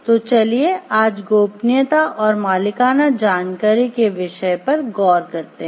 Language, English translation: Hindi, So, let us look into the first topic of confidentiality and proprietary information today